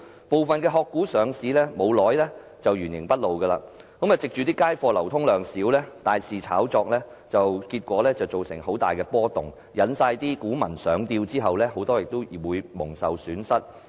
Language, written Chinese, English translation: Cantonese, 部分"殼股"上市不久就原形畢露，藉街貨流通量少而大肆炒作，結果造成很大波動，引股民上釣，很多人亦因而蒙受損失。, Some of these shell companies have their true faces revealed once they are listed . They heavily engaged in speculative activities due to a limited circulation of their shares in the market resulting in a huge fluctuation in price . Investors are lured to buy the shares and many have suffered losses subsequently because of this